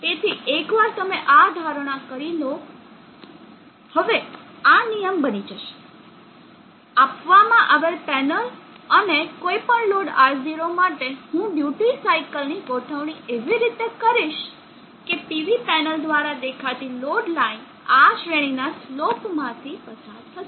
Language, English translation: Gujarati, So once you have made this assumption, now this becomes the rule given the panel and whatever may be the load R0 I will adjust the duty cycle such that the load line has seen from the PV panel will pass through in this range of slopes